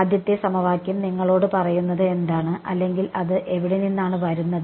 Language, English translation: Malayalam, What is the first equation telling you or rather where is it coming from